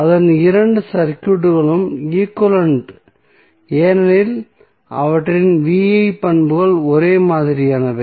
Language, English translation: Tamil, So, that means that both of the circuits are equivalent because their V I characteristics are same